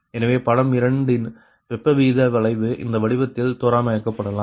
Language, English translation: Tamil, so heat rate curve of figure two may be approximated in the form